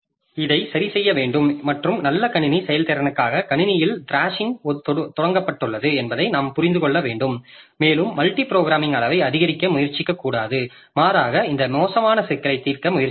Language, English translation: Tamil, So, this thrashing has to be solved and for the good system performance so we have to understand that the thrashing has got initiated into the system and we should not try to increase the degree of multi programming rather try to solve this thrashing problem